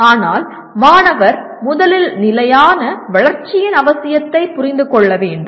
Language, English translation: Tamil, But still student should understand the need for sustainable development first